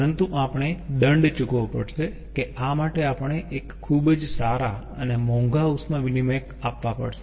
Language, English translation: Gujarati, but we have to pay a penalty that we have to have very good heat exchanger, costly heat exchanger